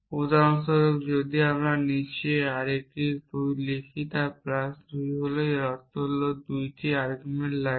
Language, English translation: Bengali, For example, if we write arity 2 below plus it basically means it takes 2 arguments